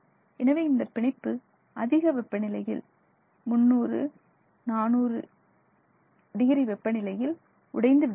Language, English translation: Tamil, So, this bond begins to break down around this larger, higher temperature range between 300 and 400 degrees centigrade